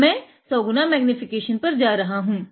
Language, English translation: Hindi, I am going to 100 x magnification now